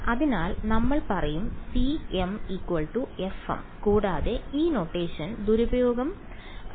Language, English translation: Malayalam, So, we will say that c m is equal to f m yeah and this abuse of notation is the word you are looking for fine